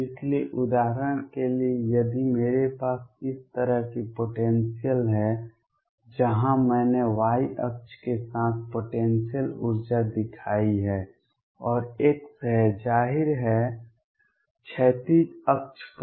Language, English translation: Hindi, So, for example, if I have a potential like this, where I have shown the potential energy along the y axis and x is; obviously, on the horizontal axis